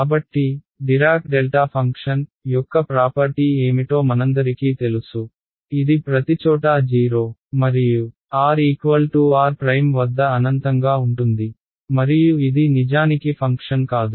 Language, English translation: Telugu, So, we all know what are the what is the property of a Dirac delta function, it is 0 everywhere and infinity at the point at r is equal to r prime, and it is not actually a proper function right